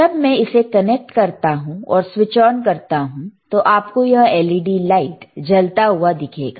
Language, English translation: Hindi, So, when I connect it, and I switch it on, you will be able to see this LED lighte light here, right this led right